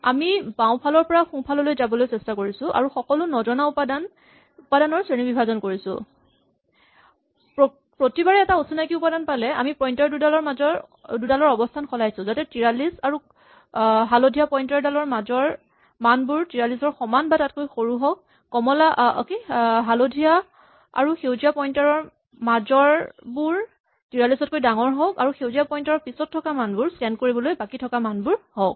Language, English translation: Assamese, What we are trying to do is, we are trying to move from left to right and classify all the unknown elements; each time we see an unknown element we will shift the two pointers so that we maintain this property that between 43 and the first pointer we have the elements smaller than or equal to 43; between the first pointer and the second pointer we have the element strictly greater than 43 and to the right of the green pointer, we have those which are yet to be scanned